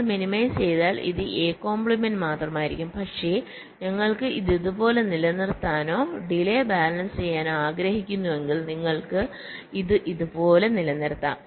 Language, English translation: Malayalam, if we minimize, this will be only a bar, but if we want to keep it like this, or balancing the delays, you can keep it also like this